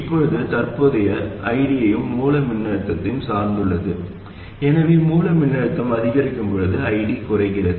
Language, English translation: Tamil, Now the current ID is also dependent on the source voltage